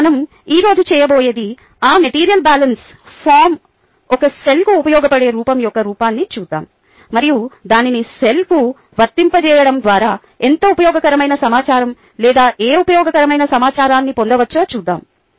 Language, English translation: Telugu, here, what we are going to do today is look at the application of that material balance form, the useful form, to a cell and let us see a how useful information or what useful information we can get by applying that to the cell